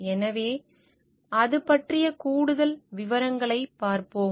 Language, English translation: Tamil, So, we will look into further details of it